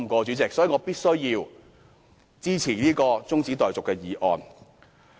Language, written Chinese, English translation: Cantonese, 主席，所以我必須支持中止待續議案。, President that is why I have to support this adjournment motion